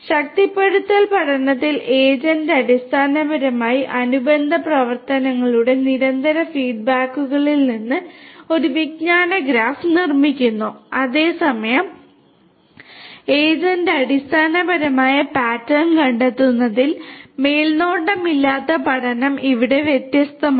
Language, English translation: Malayalam, In reinforcement learning the agent basically builds a knowledge graph from the constant feed backs of the corresponding actions whereas, the unsupervised learning in that the agent finds the underlying pattern because of the known because of sorry here it is different